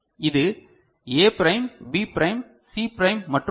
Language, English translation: Tamil, So, this is A prime, B prime, C prime and D ok